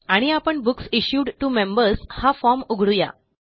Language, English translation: Marathi, And, we will open the Books Issued to Members form